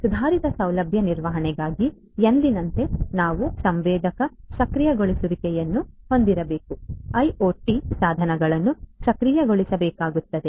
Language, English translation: Kannada, For improved facility management again as usual we need to have sensor enablement right IoT devices will have to be enabled